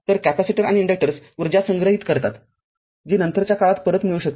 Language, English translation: Marathi, So, capacitors and inductors store energy which can be retrieved at a later time